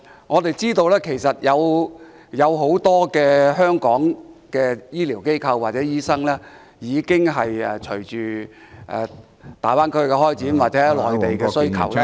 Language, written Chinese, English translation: Cantonese, 我們知道其實香港有很多醫療機構及醫生，隨着大灣區的開展或內地的需求......, We know that actually many medical institutions and doctors in Hong Kong have subsequent to the development of the Greater Bay Area or the demand on the Mainland